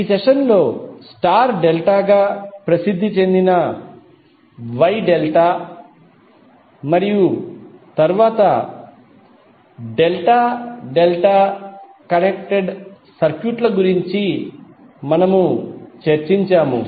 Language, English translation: Telugu, In this session we discussed about the Wye Delta that is popularly known as star delta and then delta delta connected circuits